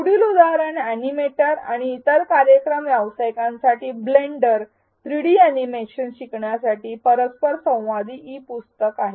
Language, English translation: Marathi, The next example is that of an interactive e book for learning blender 3D animations for animators and other working professionals